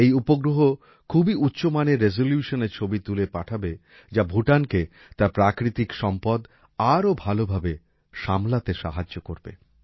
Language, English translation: Bengali, This satellite will send pictures of very good resolution which will help Bhutan in the management of its natural resources